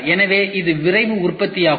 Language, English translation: Tamil, So, this is Rapid Manufacturing ok